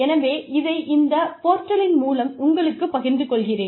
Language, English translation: Tamil, So, I am sharing it with you, on this portal